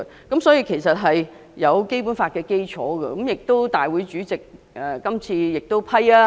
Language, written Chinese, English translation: Cantonese, 這項議案其實是以《基本法》為基礎，亦得到立法會主席批准進行辯論。, This motion is actually based on the Basic Law and the debate is conducted with the approval of the President of the Legislative Council